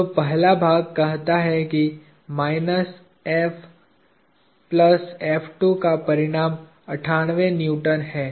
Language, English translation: Hindi, So, the first part says minus F plus F2 has a magnitude of 98 Newtons